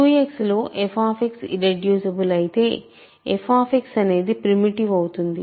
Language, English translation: Telugu, Once the f X is irreducible in Q X, f X is f X is primitive